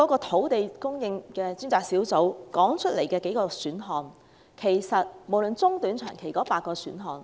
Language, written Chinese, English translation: Cantonese, 土地供應專責小組剛提出了短、中、長期的8個選項。, The Task Force on Land Supply has just proposed eight short medium and long - term options